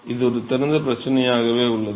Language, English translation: Tamil, It is an open problem, an open problem